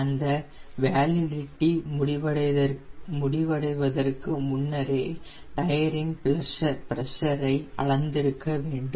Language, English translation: Tamil, so before every flight we need to measure the tire pressure